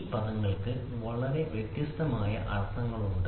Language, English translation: Malayalam, These 2 words have very different meanings